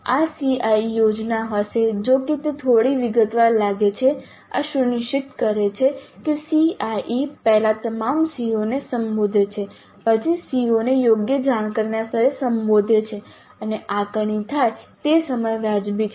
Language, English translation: Gujarati, Though it looks a little bit detailed, this ensures that the CIE first addresses all CEOs then at the address COs at appropriate cognitive levels and the time at which the assessment happens is reasonable